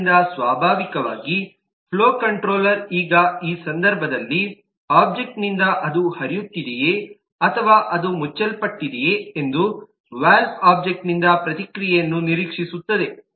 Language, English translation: Kannada, so naturally the flow controller need now in this case expects a response back from the valve object as to what is the state of the valve object